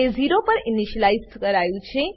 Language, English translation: Gujarati, It is initialized to 0